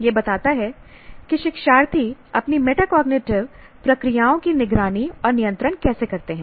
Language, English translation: Hindi, This, it describes how learners monitor and control their own cognitive processes